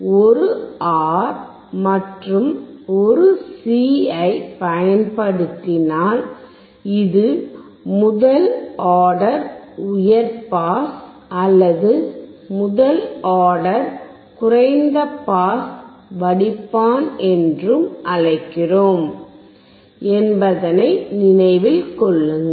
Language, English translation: Tamil, You remember when we use one R and one C, we also called it is first order high pass or first order low pass filter